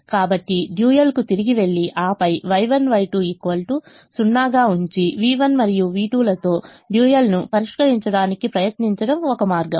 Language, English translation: Telugu, so one way is to go back to the write the dual and then try to solve the dual with v one and v two